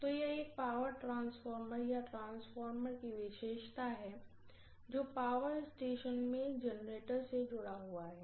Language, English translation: Hindi, So that is the characteristic of a power transformer or a transformer which is connected to a generator in the power station